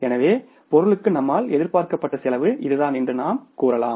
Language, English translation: Tamil, So, you would say that our anticipated cost for the material was this